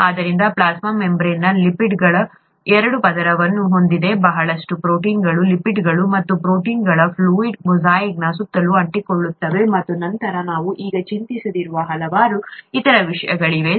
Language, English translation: Kannada, So this plasma membrane has a double layer of lipids with a lot of proteins sticking around a fluid mosaic of lipids and proteins, and then there are various other things which we will not worry about now